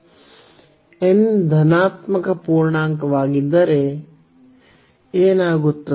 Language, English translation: Kannada, If n is a positive integer if n is a positive integer, what will happen